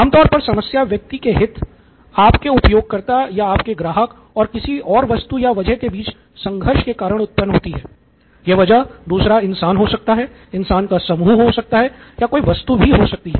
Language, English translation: Hindi, Usually the problem arises because of the conflict between your person of interest, your user, your customer and something else, it could be another human being, set of human beings or a thing, an object